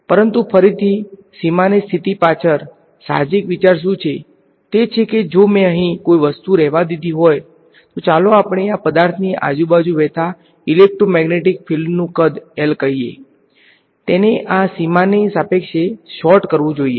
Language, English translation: Gujarati, But again what is an intuitive idea behind boundary condition, is that if I have let us say an object over here, let us say size L the electromagnetic field that is flowing around this object, it has to sort of respect this boundary